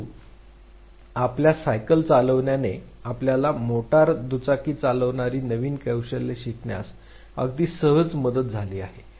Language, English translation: Marathi, But otherwise riding your bicycle has very easily helped you learn the new skill that is driving a motor bike